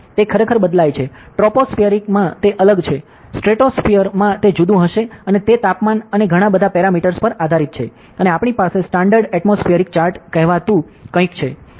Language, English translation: Gujarati, So, it actually varies, so in the troposphere it will different, stratosphere it will be different and it depends on temperature and a lot of parameters and we have something called as standard atmospheric chart